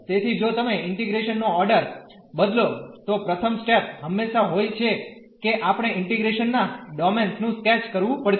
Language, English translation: Gujarati, So, if you change the order of integration the first step is going to be always that we have to the sketch the domain of integration